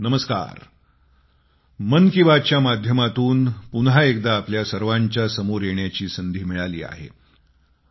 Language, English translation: Marathi, Through 'Mann Ki Baat', I once again have been blessed with the opportunity to be facetoface with you